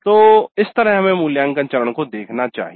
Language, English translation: Hindi, So, that is how we should be looking at the evaluate phase